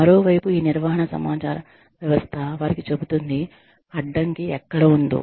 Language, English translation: Telugu, On the other hand, if this management information system tells them, where the bottleneck is